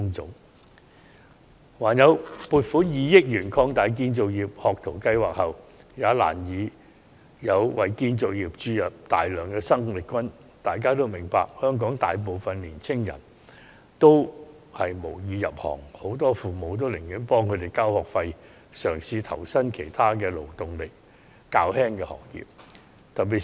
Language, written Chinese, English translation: Cantonese, 政府撥款2億元擴大了建造業學徒計劃後，也難以為建造業注入大量生力軍，因為香港大部分青年人無意入行，而很多父母寧願為子女交學費讓他們入讀專上院校，以期他們可投身於勞動力較低的行業。, Similarly the 200 million being allocated to expand the construction industry apprenticeship programme has not drawn a lot of new blood to the construction industry due to a lack of interest in the industry among most young people . Many parents would rather pay to send their children to tertiary institutions hoping that they can join less laborious industries